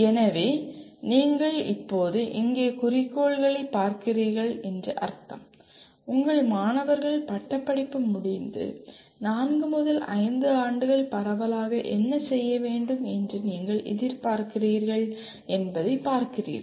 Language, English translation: Tamil, So that means you are now looking at objectives here would mainly you are looking at what you expect your students to be doing broadly four to five years after graduation